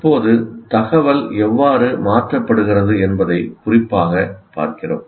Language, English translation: Tamil, Now we look at it specifically how the information is getting transferred